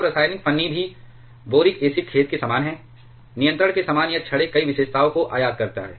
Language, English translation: Hindi, Now, chemical shim also similar to boric acid sorry similar to the control rods it all as import several characteristics